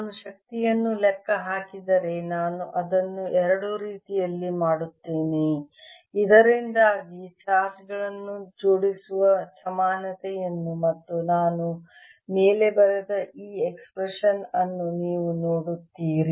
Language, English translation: Kannada, if i would calculate the energy, i will do it in two so that you see the equivalence of assembling the charges and this expression that i have written above